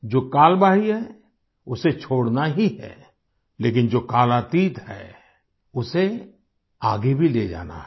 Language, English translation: Hindi, That which has perished has to be left behind, but that which is timeless has to be carried forward